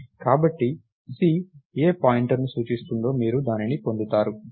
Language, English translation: Telugu, So, whatever C is pointing to thats thats the pointer you will get